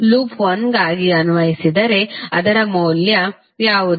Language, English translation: Kannada, For loop 1 if you applied what will be the value